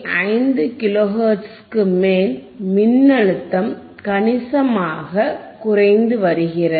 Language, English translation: Tamil, 5 kilo hertz again you will be able to see that the voltage is decreasing significantly